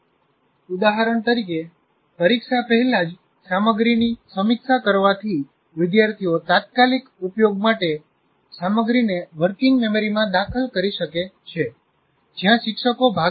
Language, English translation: Gujarati, For example, reviewing the material just before test allows students to enter the material into working memory for immediate use